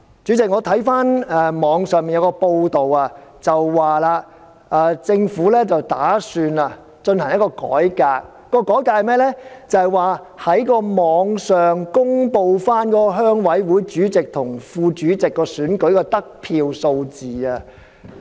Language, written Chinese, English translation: Cantonese, 代理主席，網上報道政府打算進行一項改革，就是在網上公布鄉事會主席及副主席選舉的得票數字。, Deputy President according to online news reports the Government intended to carry out a reform by publishing the number of votes received by the chairmen and vice - chairmen of various RCs